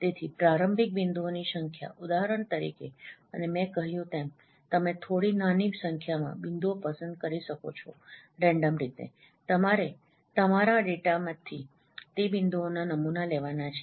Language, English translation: Gujarati, So, initial number of points for example and as I mentioned you can choose a small number of points randomly you have to sample those points from your data